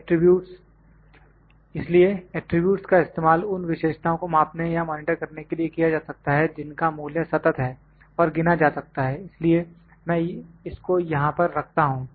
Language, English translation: Hindi, Attributes; so attributes can be used to measure or to monitor the characteristics that have discrete values and can be counted so, I would better put it here